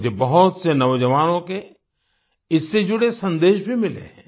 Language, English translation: Hindi, I have received messages related to this from many young people